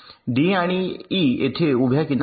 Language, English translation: Marathi, d and e, there is a vertical edge